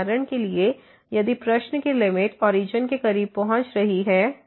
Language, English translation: Hindi, For example, if the limit in the question is approaching to the origin